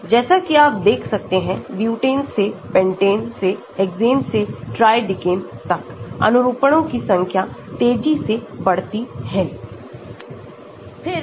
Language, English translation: Hindi, As you can see from butane to pentane to hexane to tridecane, number of conformers increases rapidly